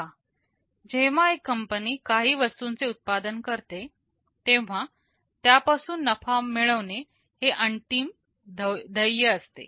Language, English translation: Marathi, See a company whenever it manufactures some products the ultimate goal will be to generate some profit out of it